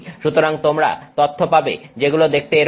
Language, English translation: Bengali, So you will see data that looks like that